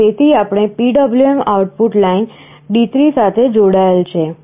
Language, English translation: Gujarati, So, that we have connected to the PWM output line D3